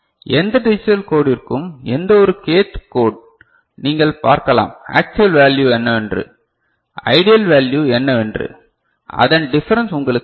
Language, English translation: Tamil, For any you know digital code any k th code, you can see what is the you know actual value, and what is the ideal value the difference that is giving you INL error, this is giving you INL error ok